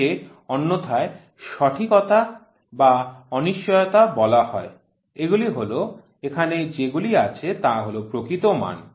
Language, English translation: Bengali, It is otherwise called as accuracy or uncertainty these are the; this is the true value whatever is there